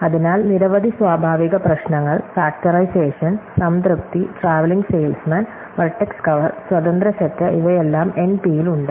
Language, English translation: Malayalam, So, we have seen many natural problems, factorization, satisfiability, traveling salesman, vertex cover, independent set, these are all in NP